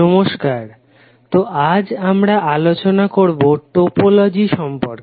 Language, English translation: Bengali, Namashkar, so today we will discuss about the topology